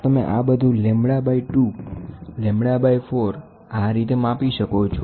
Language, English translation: Gujarati, So, you can measure lambda by 2, lambda by 4 and all those things